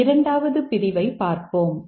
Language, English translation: Tamil, Similarly, let's look at the second clause